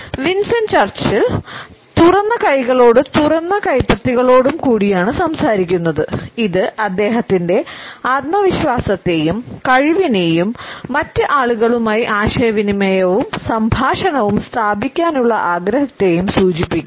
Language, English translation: Malayalam, Winston Churchill is speaking with open hands and open palms and this openness suggests his confidence and his capability as well as his desire to establish interaction and dialogue with the other people